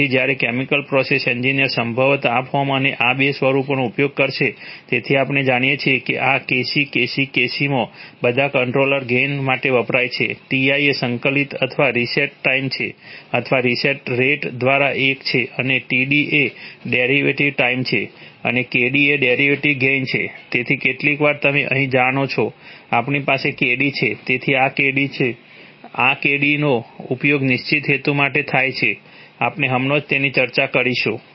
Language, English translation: Gujarati, So while chemical process engineers will probably use this form and these two forms, so as we know that in this Kc Kc’ Kc” all stands for controller gain, Ti is integral or reset time or one by reset rate and Td is derivative time and Kd is derivative gain right, so sometimes you know here, we have a, we have a Kd so this Kd is, this Kd is used for a certain purpose, we will discuss it right now